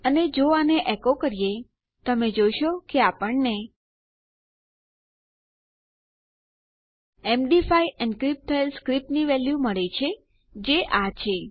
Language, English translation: Gujarati, And if we just echo this out, you can see that we get our...., our value of our MD5 encrypted script which is this